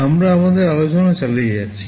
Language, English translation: Bengali, We continue with our discussion